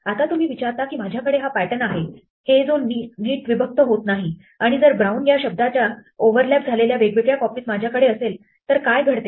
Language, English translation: Marathi, Now you may ask what happens if I have this pattern it does not neatly split up if I have the different copies of brown overlaps